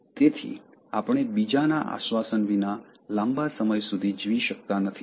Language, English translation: Gujarati, So, we cannot survive for a long time, without reassurance from others